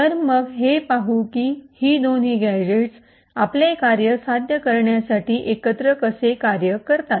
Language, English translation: Marathi, So, let us see how these two gadgets work together to achieve our task